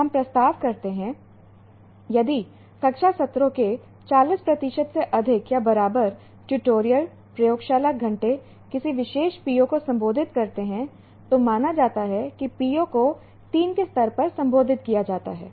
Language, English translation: Hindi, If 25% to 40% of the classroom sessions, tutorials, lab hours addressing a particular P, it is considered that PO is addressed at level 2